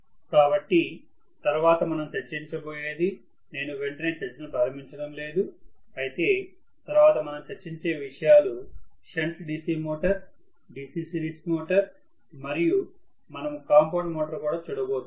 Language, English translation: Telugu, So, the next one we will be discussing I am just not going to immediately start discussing but the next things that we will be discussing will be shunt DC motor, DC series motor and we will also be looking at compound motor